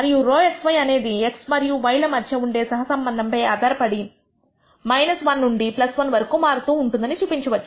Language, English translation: Telugu, We can show that rho x y varies between minus 1 to plus 1 depending on the extent of correlation between x and y